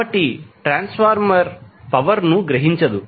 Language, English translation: Telugu, So, transformer will absorb no power